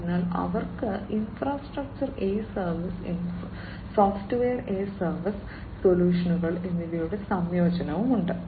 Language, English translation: Malayalam, So, they have a combination of infrastructure as a service, and software as a service solutions